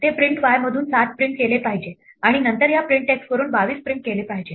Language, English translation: Marathi, It should print a 7 from the print y and then print 22 from this print x